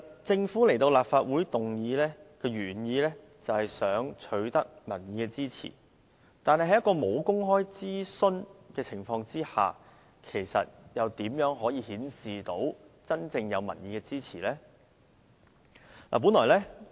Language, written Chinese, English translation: Cantonese, 政府在立法會提出議案，本來是想取得民意支持，但沒有公開諮詢，又如何顯示真正有民意支持呢？, The original intention of the motion moved by the Government is to gain popular support but without public consultation how can the Government show that it has really gained popular support?